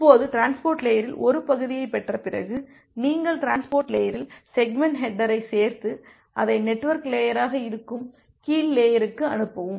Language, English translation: Tamil, Now after getting a segment at the transport layer, you add up the segment header at the transport layer and pass it to the lower layer that is the network layer